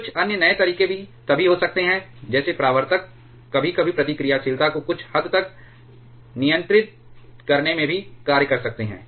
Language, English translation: Hindi, There can be a few others also some innovative methods like reflectors sometimes can also act in controlling the reactivity somewhat